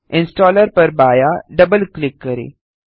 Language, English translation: Hindi, Left Double click the installer